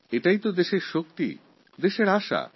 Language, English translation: Bengali, This is the power of the nation